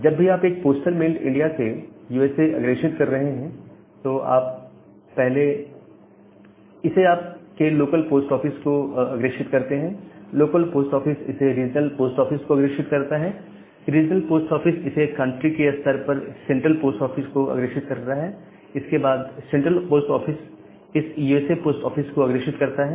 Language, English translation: Hindi, So, you forward it to your local post office; the local post office forward it to the regional post office, the regional post office forward it to the country level central post office; the central post office then forward it to that say the USA post